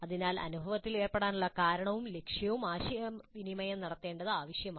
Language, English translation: Malayalam, So it is necessary to communicate the reason for and purpose of engaging in the experience